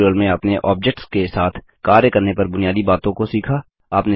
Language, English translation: Hindi, In this tutorial, you have learnt the basics of working with objects